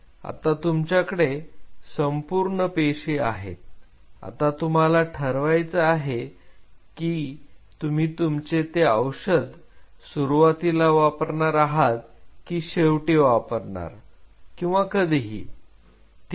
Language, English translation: Marathi, Now you have all the cells and you have to decide when are you going to put your drug in the beginning or later or whatever ok